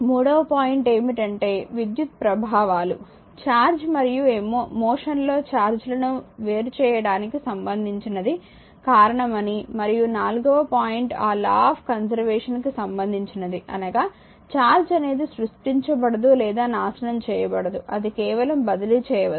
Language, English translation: Telugu, And third point is the electrical effects are attributed to both the separation of charge and your charges in motion and the fourth point is the law of conservation of charge state that charge can neither be created nor destroyed only transferred right